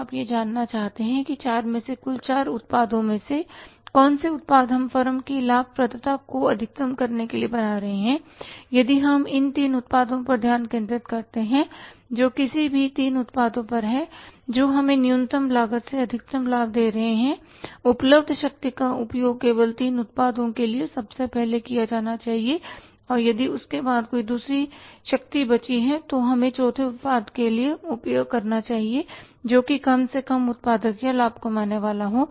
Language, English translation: Hindi, Now you would like to learn which of the 4 products out of the 4 total products we are manufacturing to maximize the profitability of the firm if we concentrate upon the first three products, any three products which are giving us the maximum profits and the minimum cost, the available power should be used first of all for the three products only and if any power is left after that we should use for the fourth product which is least productive or the profit making